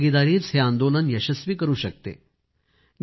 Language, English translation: Marathi, It is public participation that makes it successful